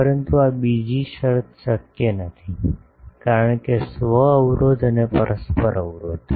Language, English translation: Gujarati, But this second condition is not possible, because the self impedance and the mutual impedance